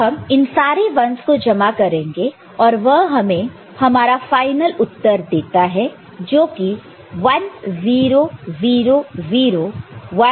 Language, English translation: Hindi, So, you collect all these ones and that is giving you your final result that is 1 triple 0 1 1 1 1 ok